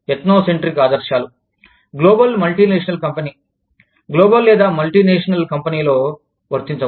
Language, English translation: Telugu, Ethnocentric ideals, cannot apply in a global multinational company, global or multinational company